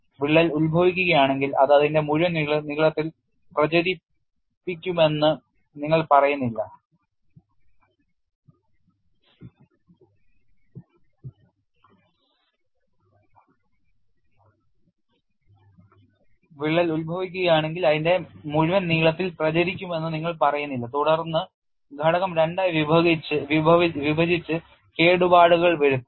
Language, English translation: Malayalam, If the crack originates, you do not say that it will propagate for its full length and then the component will separate into two and causing damage